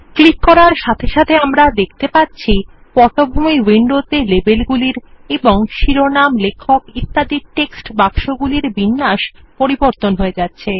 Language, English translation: Bengali, As we click through, we see the background window, changing, in the arrangement of labels and text boxes saying title, author etc